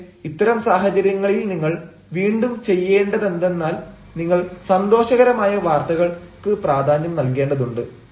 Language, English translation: Malayalam, but in such situations, once again, what you need to do is first, you need to emphasize the good news